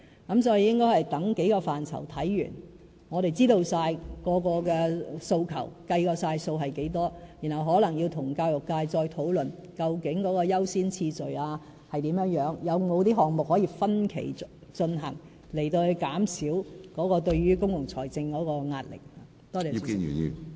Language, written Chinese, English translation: Cantonese, 所以，我們應該等待各個範疇的研究完成後，知道每個訴求，計算需要多少資源，然後可能再與教育界討論，找出優先次序，有否項目可以分期進行，以減少對公共財政的壓力。, Hence we should wait for the outcomes of the reviews on the key areas ascertain all demands estimate the resources required and then discuss with the education sector once again . In this way we can prioritize the issues and find out whether any issues can be tackled in phases with a view to reducing the pressure on public finances